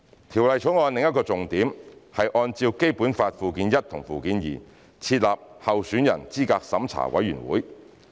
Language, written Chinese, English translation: Cantonese, 《條例草案》的另一重點，是按《基本法》附件一和附件二，設立候選人資格審查委員會。, Another key point of the Bill is the establishment of the Candidate Eligibility Review Committee CERC pursuant to Annexes I and II to the Basic Law